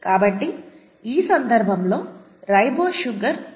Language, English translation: Telugu, So, a ribose sugar, in this case ATP, okay